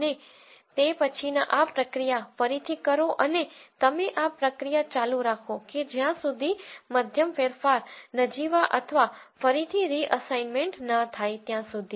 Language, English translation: Gujarati, And then do this process again and you keep doing this process till the mean change is negligible or no reassignment